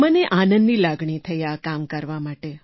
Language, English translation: Gujarati, I felt happy in doing this work